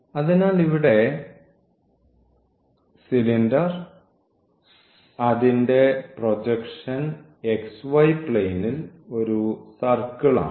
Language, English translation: Malayalam, So, this is now the projection in this xy plane